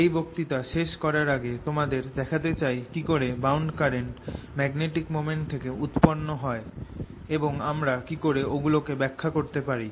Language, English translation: Bengali, before we end this lecture, i want to give you a feeling for how the bound currents arise out of magnetic moments, or how we can interpret them